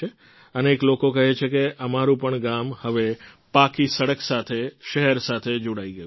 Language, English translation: Gujarati, Many people say that our village too is now connected to the city by a paved road